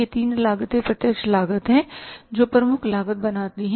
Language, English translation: Hindi, These three costs are the direct cost which make the prime cost